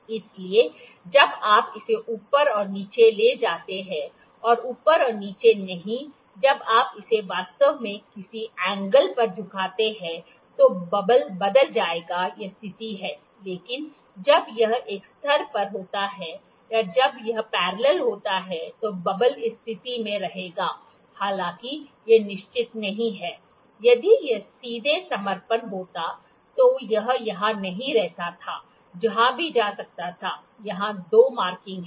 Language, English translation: Hindi, So, when you move it up and down, not up and down when you tilt it actually at some angle, the bubble would change it is position, but when it is at a level when it is parallel bubble will stay at this position; however, it is not sure, if it had been straight surrender, it is it wouldn’t be share it would stay here or here over wherever it could go, the 2 markings here